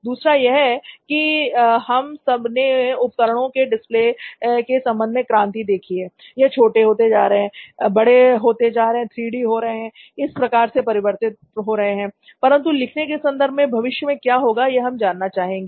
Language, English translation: Hindi, Then what is next coming up next, is it so now we have all seen revolution in terms of display devices is getting smaller, is getting bigger, it is going through lots of, it is getting 3D, it is going through all sorts of transformation, but in terms of the act of writing what is next